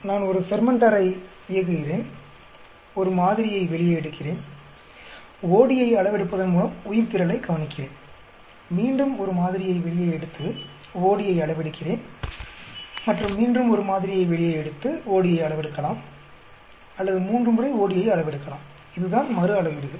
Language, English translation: Tamil, Suppose I am running a fermenter, I take a sample out, and look at the biomass by measuring the OD, again I take a sample out and measure the OD, and again I may take a sample out measure the OD or I may measure the OD three times, that is called repeat measurements